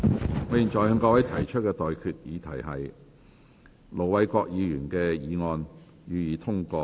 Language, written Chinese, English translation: Cantonese, 我現在向各位提出的待議議題是：盧偉國議員動議的議案，予以通過。, I now propose the question to you and that is That the motion moved by Ir Dr LO Wai - kwok be passed